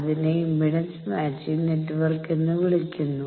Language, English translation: Malayalam, You see that in the impedance matching network